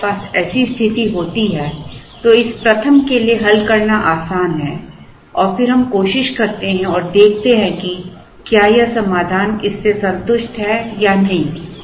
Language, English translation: Hindi, When we have such a situation it is actually easier to solve for this 1st and then we try and see whether this solution is satisfied by this